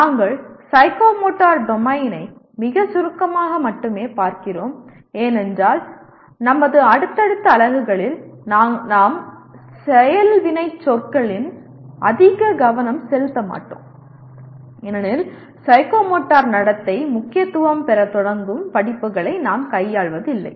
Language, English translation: Tamil, And we are only looking at psychomotor domain very briefly because in our subsequent units we will not be focusing very much on action verbs because we are not dealing with courses where psychomotor behavior starts becoming important